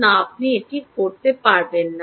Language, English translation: Bengali, no, you dont have to do that